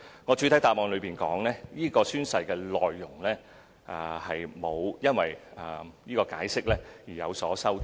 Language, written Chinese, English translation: Cantonese, 我在主體答覆亦指出，宣誓內容並沒有因為《解釋》而有所修改。, I also pointed out in the main reply that the oath content has not changed as a result of the Interpretation